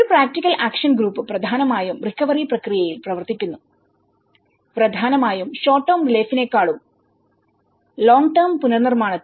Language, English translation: Malayalam, A practical action group they does mostly on the recovery process, mainly in the long term reconstruction rather than the short term relief